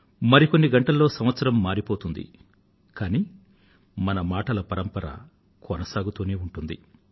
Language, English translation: Telugu, A few hours later, the year will change, but this sequence of our conversation will go on, just the way it is